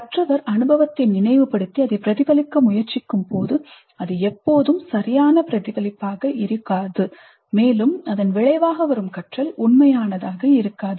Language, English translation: Tamil, So, when the learner is trying to recollect the experience and reflect on it, it may not be always a valid reflection and the learning that results from it may not be really authentic